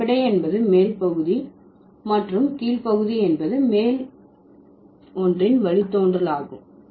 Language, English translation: Tamil, The base is the upper part and the lower part is the derivation of the upper one